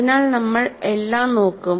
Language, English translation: Malayalam, So, all that we will look at